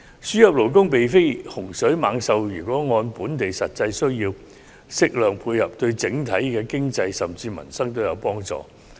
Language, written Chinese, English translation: Cantonese, 輸入勞工並非洪水猛獸，如能按本地實際需要，適量作出配合，對整體經濟甚至民生皆有幫助。, Importation of labour is not something of a scourge which if properly formulated taking into account of our actual needs will be beneficial to the overall economy and even to peoples livelihood